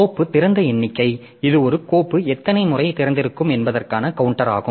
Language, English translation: Tamil, Then the file open count so it is a counter of the number of times a file is open